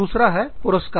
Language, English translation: Hindi, The other is rewards